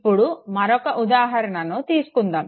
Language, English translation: Telugu, Now coming back to the example